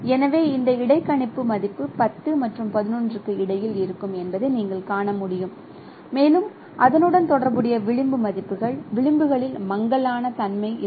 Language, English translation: Tamil, So as you can see that this interpolated value will be in between I 0 and I 1 and there will be blurriness in the corresponding edge values, edges